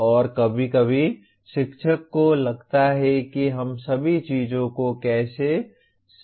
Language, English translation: Hindi, And sometimes the teacher feel how can we enumerate all the things